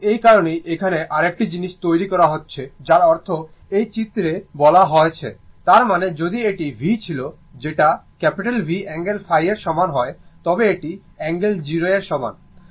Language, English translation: Bengali, So, that is why that is why here here we are making another thing that ah I mean whatever I told there in this ah diagram; that means, if we make that it was v is equal to V angle phi and I is equal to I told you I angle 0, right